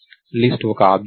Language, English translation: Telugu, So, list is an object